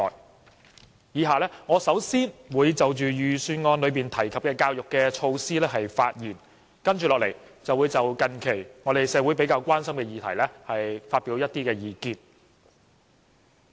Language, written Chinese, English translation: Cantonese, 我以下會先就預算案提及的教育措施發言，接着便會就近期社會較為關心的議題發表一些意見。, I will speak on the education measures mentioned in the Budget and then express my views on some issues of concern to the community recently